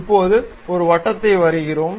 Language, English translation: Tamil, Now, we draw a circle